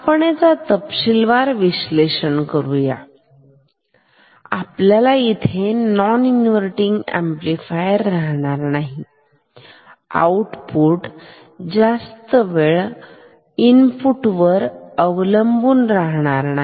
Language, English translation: Marathi, We have done detailed analysis by this is no longer an invert non inverting amplifier, output will no longer be proportional to input